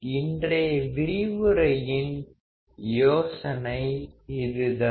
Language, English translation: Tamil, That is the idea of today’s lecture